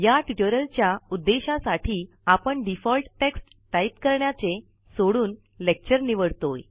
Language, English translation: Marathi, For the purposes of this tutorial, we shall skip typing the default text and select a lecture